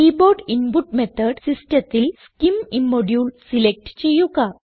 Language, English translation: Malayalam, In the Keyboard input method system, select scim immodule